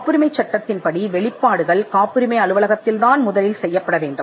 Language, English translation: Tamil, Patent law requires disclosures to be made first to the patent office